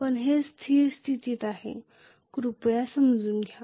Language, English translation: Marathi, But it is steady state please understand